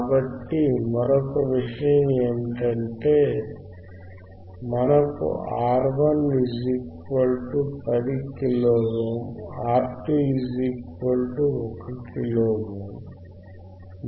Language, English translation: Telugu, So, another point is, here we have R 1 equals to 10 kilo ohm, R 2 equals to 1 kilo ohm, right